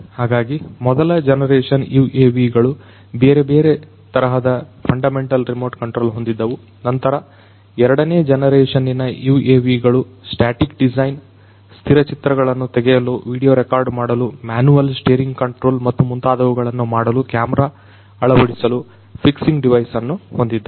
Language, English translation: Kannada, So, first generation UAVs had fundamental remote control of different forms, then came the second generation UAVs which had a static design, a fixing device for camera mounting for taking still photography, video recording, manual steering control and so on